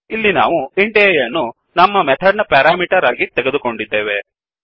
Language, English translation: Kannada, Here we are giving int a as a parameter to our method